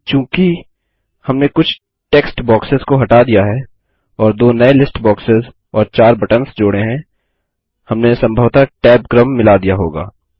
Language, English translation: Hindi, But since we removed a couple of text boxes, and added two new list boxes and four buttons, we may have mixed up the tab order